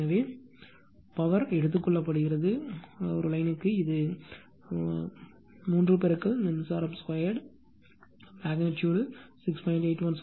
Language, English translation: Tamil, So, power absorbed by the line is it is 3 into current square right magnitude 6